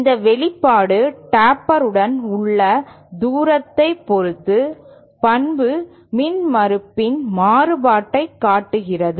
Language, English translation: Tamil, This expression shows the variation of the characteristic impedance with respect to the distance along the Taper